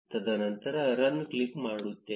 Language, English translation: Kannada, And then click on run